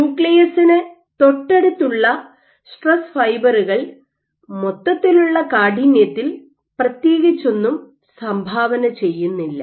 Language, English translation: Malayalam, So, if you have stress fibers which are right next to the nucleus you cannot these will not contribute as much to the overall stiffness that you are proving